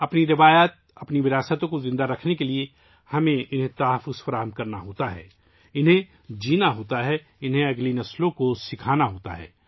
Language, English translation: Urdu, To keep our traditions, our heritage alive, we have to save it, live it, teach it to the next generation